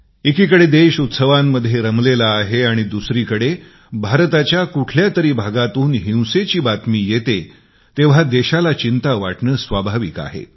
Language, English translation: Marathi, When on the one hand, a sense of festivity pervades the land, and on the other, news of violence comes in, from one part of the country, it is only natural of be concerned